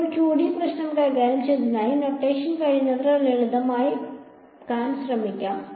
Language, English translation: Malayalam, Now, because we are dealing with the 2D problem let us try to just simplify notation as much as possible